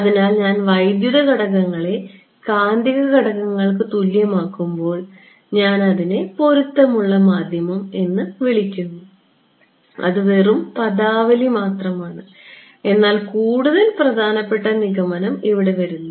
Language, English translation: Malayalam, So, when I make the electrical parameters equal to the magnetic parameters, I call it matched medium that is just terminology, but the more important conclusion comes over here ok